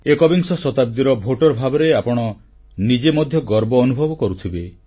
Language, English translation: Odia, As voters of this century, you too must be feeling proud